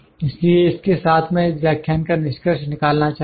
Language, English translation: Hindi, So, with this I like to conclude this lecture